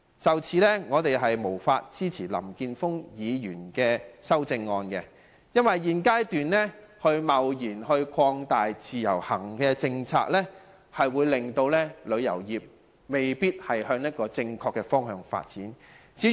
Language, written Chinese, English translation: Cantonese, 就此，我們無法支持林健鋒議員的修正案，因為現階段貿然擴大自由行的政策，未必可令旅遊業朝正確的方向發展，至於......, For this reason we cannot support the amendment proposed by Mr Jeffrey LAM because an arbitrary expansion of the IVS policy at this moment may not guarantee that the tourism industry will develop towards the right direction